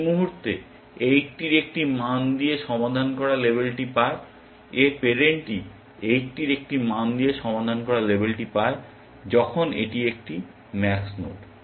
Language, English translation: Bengali, The moment this gets label solved with a value of 80 its parent gets label solved with a value of 80, and when the, when a max node